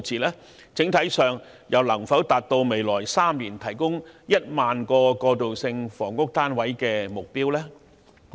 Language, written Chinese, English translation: Cantonese, 在整體上，又能否達致在未來3年提供1萬個過渡性房屋單位的目標？, All in all can the target of 10 000 transitional housing flats be met in the coming three years?